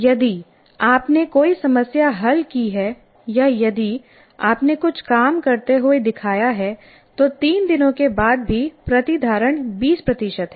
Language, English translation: Hindi, That is if you have solved a problem or if you have shown something working, but still after three days, the retention is only 20%